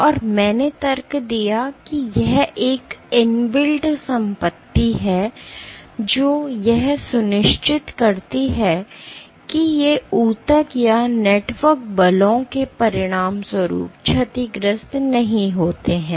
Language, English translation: Hindi, And I argued that this is an inbuilt property that ensures that these tissues or the networks do not get damaged as a consequence of forces